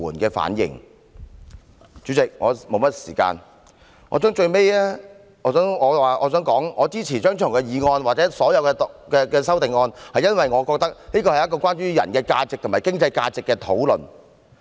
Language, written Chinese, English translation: Cantonese, 代理主席，我的發言時間所餘不多，我最後想說的是，我支持張超雄議員的議案及所有修正案，因為我覺得這是關於人的價值和經濟價值的討論。, Deputy President as I do not have much speaking time left I wish to conclude by saying that I support Dr Fernando CHEUNGs motion and all the amendments because I think it is an argument between the value of a person and economic value